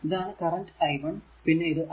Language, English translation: Malayalam, So, now that is your i 1 is equal to i